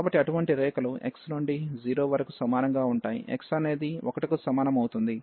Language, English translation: Telugu, So, and then such lines will vary from x is equal to 0 to x is equal to 1